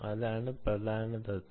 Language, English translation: Malayalam, that is the problem